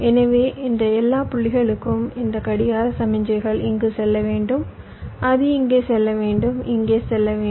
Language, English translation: Tamil, so this clock signal will need to go here, it need to go here, need to go here to all this points